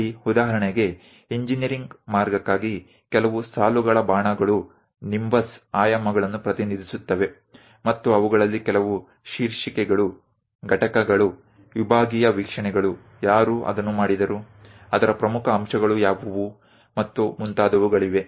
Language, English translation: Kannada, Here for example for engineering way there are certain lines arrows something like nimbus representing dimensions, and some of them like titles, components, the sectional views, who made that, what are the key components of that and so on so things always be mentioned